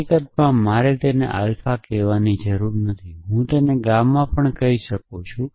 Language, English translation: Gujarati, In fact, I do not need have to call it alpha I could call it gamma